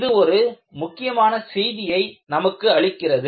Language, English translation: Tamil, It conveys a very important message